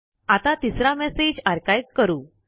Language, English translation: Marathi, Lets archive the third message